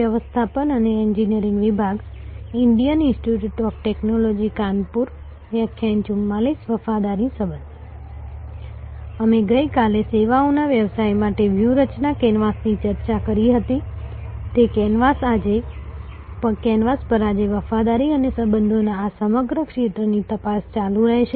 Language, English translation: Gujarati, We discussed the strategy canvas for services business yesterday, on that canvas today will continue to probe into this whole domain of loyalty and relationships